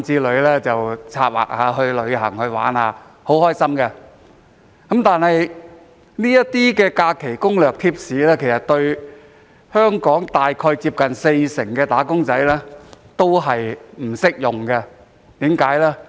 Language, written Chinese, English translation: Cantonese, 大家策劃去旅行遊玩是很開心的事，但這些假期攻略和貼士對近四成"打工仔"並不適用。, It is a delightful thing to make plans for trips and vacations but these leave strategies and tips are not applicable to nearly 40 % of wage earners